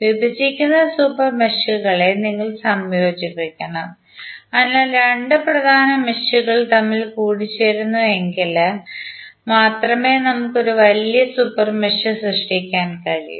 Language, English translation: Malayalam, We have to combine the super meshes who are intersecting, so this is important thing that if two super meshes are intersecting then only we can create a larger super mesh